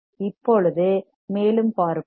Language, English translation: Tamil, Now, let us see further